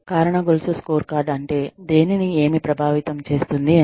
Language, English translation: Telugu, Causal chain scorecard is, what impacts, what